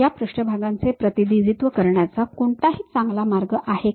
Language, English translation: Marathi, Are there any better way of representing this surfaces